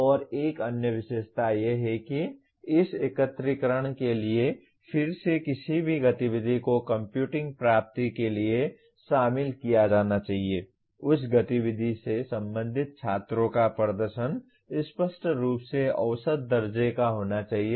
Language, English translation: Hindi, And another feature is for again for this aggregation any activity to be included for computing attainment, the performance of the students related to that activity should be unambiguously measurable